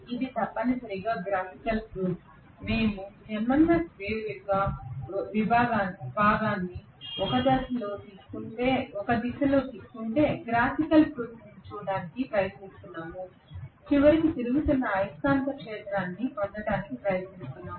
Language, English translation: Telugu, This is essentially a graphical proof, we are trying to look at the graphical proof as to if we take the component of the MMF wave along a direction theta, are we trying to get ultimately you know a revolving magnetic field at all